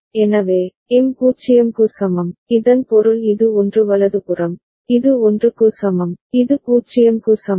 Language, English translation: Tamil, So, M is equal to 0, this means this is equal to 1 right, this is equal to 1, and this is equal to 0